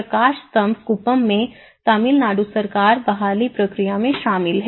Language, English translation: Hindi, In Lighthouse Kuppam, Tamil Nadu Government is involved in it in the recovery process